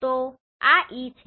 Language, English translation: Gujarati, So this is E